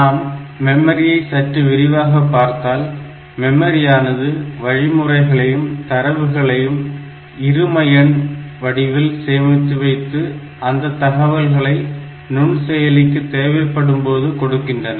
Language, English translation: Tamil, So, memory stores information such as instructions and data in binary format and it provides this information to the microprocessor whenever it is needed